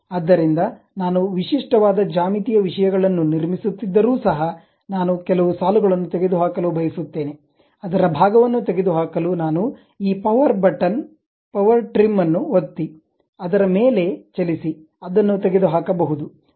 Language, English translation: Kannada, So, even though I am constructing typical geometrical things, I would like to remove some of the lines, I can use this power button power trim button to really click drag over that to remove that part of it